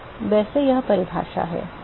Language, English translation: Hindi, So, that is the definition by the way